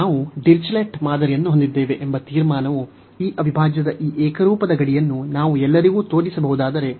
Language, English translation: Kannada, So, the conclusion we have the Dirichlet test, which says that if we can show this uniform boundedness of this integral for all b greater than 1